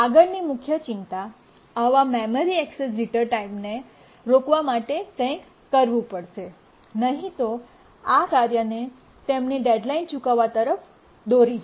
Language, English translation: Gujarati, We need to do something to prevent such access memory access jitter times, otherwise this will lead to tasks missing their deadline